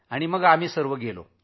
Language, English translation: Marathi, Ultimately all of us went there